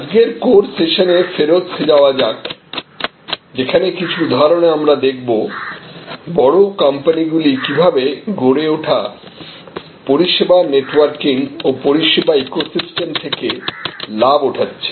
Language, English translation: Bengali, So, now let us go back to the core session of today, which is dealing with some examples of large companies taking advantage of this evolving service networking and service ecosystem